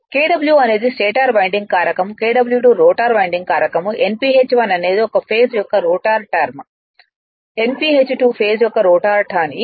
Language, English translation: Telugu, Kw1 is stator winding factor, Kw2 rotor winding factor Nph1 stator turns per phase Nph2 rotor turns per phase